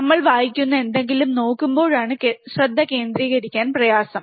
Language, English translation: Malayalam, the point of this is whenever we look at something we read at something, it is very hard to concentrate